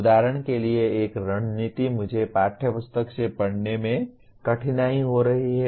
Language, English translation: Hindi, For example one strategy is I am having difficulty in reading from the textbook